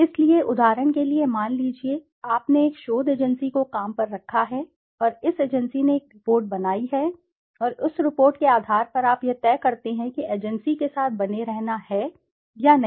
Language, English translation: Hindi, So, for example, suppose, you have hired a research agency and this agency has made a report and on basis of that report you decide whether to continue with the agency or not to continue with the agency